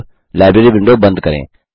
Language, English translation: Hindi, The Library window opens